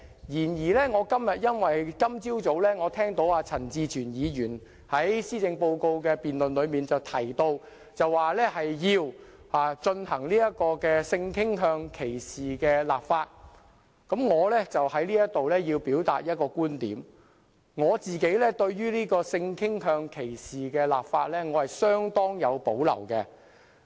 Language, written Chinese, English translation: Cantonese, 然而，今天早上我聽到陳志全議員在施政報告辯論中提到，要就性傾向歧視立法，我便要在此表達一個觀點：我自己對性傾向歧視立法相當有保留。, However in the policy debate this morning I heard Mr CHAN Chi - chuen call for the enactment of legislation against discrimination on the ground of sexual orientation and I have to express a view here . I personally have great reservations about legislating against discrimination on the ground of sexual orientation